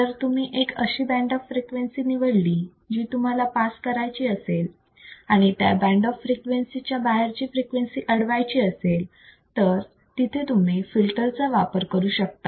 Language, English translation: Marathi, So, if you select a band of frequency that you need to pass, and you are going to reject or block the signals outside the band, you can use the filters